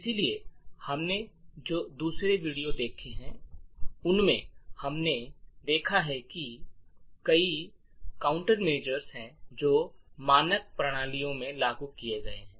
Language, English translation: Hindi, So, in the other videos that we have looked at we have seen that there are several countermeasures that have been implemented in standard systems